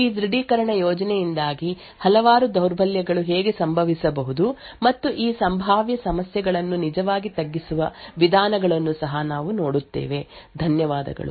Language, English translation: Kannada, We will also see how there are several weaknesses which can occur due to this authentication scheme and also ways to actually mitigate these potential problems, thank you